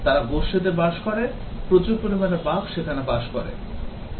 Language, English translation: Bengali, They live in community large number of bugs will be living there